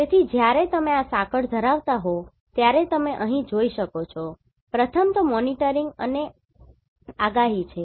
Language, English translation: Gujarati, So when you are having this chain, you can see here the first one is monitoring and prediction